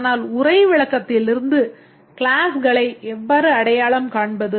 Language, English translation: Tamil, But how do we identify the classes from a text description